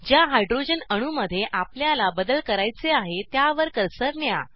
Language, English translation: Marathi, Bring the cursor to the Hydrogen atom you want to substitute